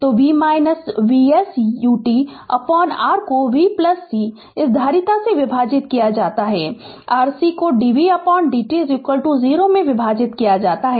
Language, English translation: Hindi, So, V minus V s U t by R ah divided by R plus your C this capacitor C C into dv by dt is equal to 0 right